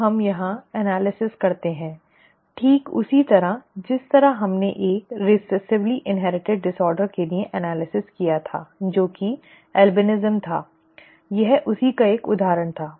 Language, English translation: Hindi, Now let us do the analysis here, the same way that we did analysis for a recessively inherited disorder which was albinism, it was an example of that